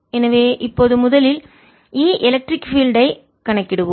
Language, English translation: Tamil, so now we will calculate e electric field first